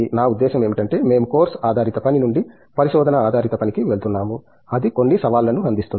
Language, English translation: Telugu, I mean of course, we are moving from a course based work to a research based work, that itself provides some challenges